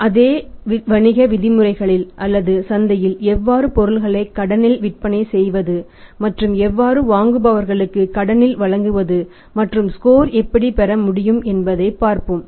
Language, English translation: Tamil, So, let us see that how in the same business terms or in case is selling the goods in the market on the credit and extending credit to the different buyers on credit how the score can be worked out